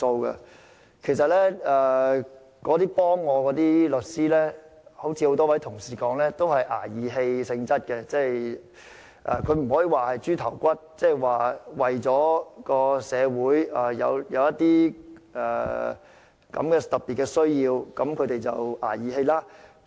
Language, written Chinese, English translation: Cantonese, 那些協助我的律師，正如多位同事所說，均是"捱義氣"性質，雖然不能說這些案件是"豬頭骨"，但他們是為了社會有這些特別需要而"捱義氣"。, The lawyers who assisted me as many Honourable colleagues have suggested did so pro bono . I cannot say those cases were thankless jobs but they did me a favour to meet such special needs in society